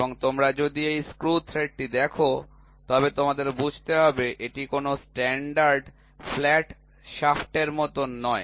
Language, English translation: Bengali, And, if you look at it this screw thread you should understand it is not like a standard flat shaft